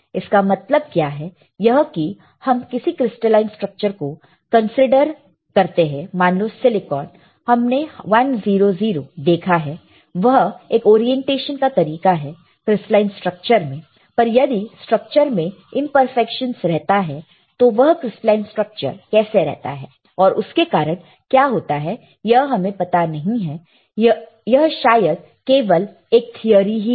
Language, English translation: Hindi, So, what does it mean that when we have seen what is crystalline structure, the crystalline structure let us say in silicon we have seen 100, it is a orientation right crystalline structure, but how the crystalline structures are if there is a imperfections in crystalline structure then it may cause it may we do not know, but this is just a theory right